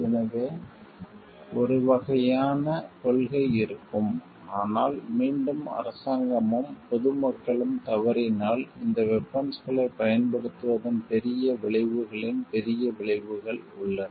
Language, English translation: Tamil, So, there will be one type of policy, but if again the government and the general public fails no, there are greater consequences of bigger consequences of using these weapons